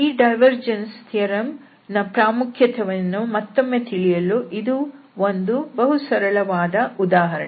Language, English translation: Kannada, So very a simple example here to see the importance of this divergence theorem again